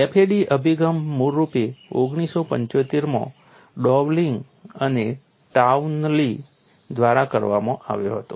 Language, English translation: Gujarati, The FAD approach was originally introduced in 1975 by Dowling and Townlay